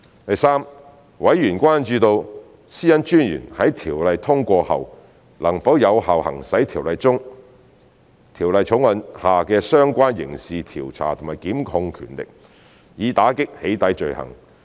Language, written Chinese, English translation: Cantonese, 第三，委員關注到私隱專員在《條例草案》通過後能否有效行使《條例草案》下的相關刑事調查和檢控權力，以打擊"起底"罪行。, Thirdly members were concerned whether the Commissioner could effectively exercise the relevant criminal investigation and prosecution powers under the Bill to combat doxxing offences after the passage of the Bill